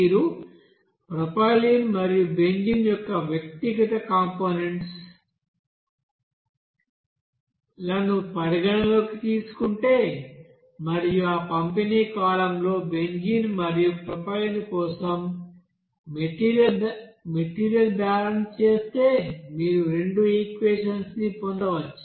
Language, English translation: Telugu, And then if you consider individual components of suppose propylene and benzene and if you do the material balance for benzene and propylene in that distribution column, you will see that you can get two you know again equations